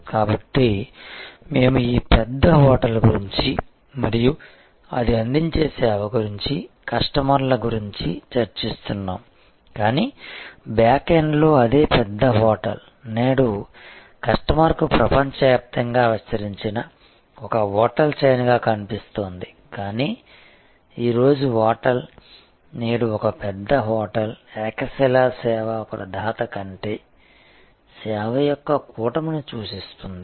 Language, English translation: Telugu, So, we were discussing about this large hotel and the service it provides to it is customers, but at the backend the same large hotel is today even though to the customer it is appearing to be one hotel chain spread across the world, but a hotel today, a large hotel today represents a constellation of service rather than a monolithic service provider